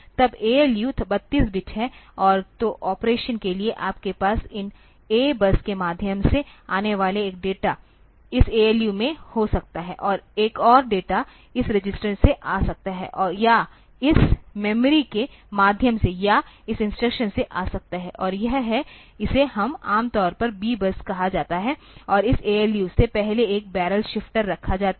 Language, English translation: Hindi, Then ALU is 32 bit and so for operation, you can have one data coming through these A bus to this ALU, another data can come, either from this register, or can come from this memory through this or from the instruction is through this one, and that is that we generally called the B bus and there is a barrel shifter put before this ALU